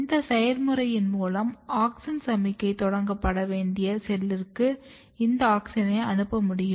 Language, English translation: Tamil, So, through this process you can basically distribute this auxin to a cell where auxin signalling has to be initiated